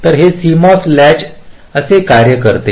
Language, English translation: Marathi, so this is how this cmos latch works